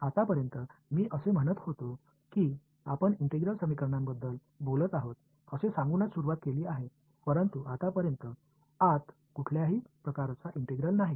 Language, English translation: Marathi, Now, so far I mean we started by saying that we are going to talk about integral equations but, so far there is no integral anywhere inside right